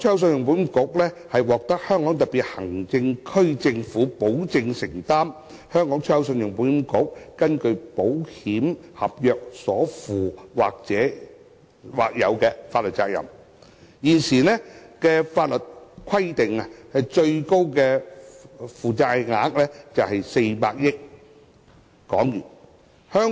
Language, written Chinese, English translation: Cantonese, 信保局獲香港特別行政區政府保證，會承擔信保局根據保險合約所負的或有法律責任。現時的法定最高負債額是400億港元。, ECICs contingent liability under contracts of insurance is guaranteed by the Government of the Hong Kong Special Administrative Region with the statutory maximum liability currently standing at 40 billion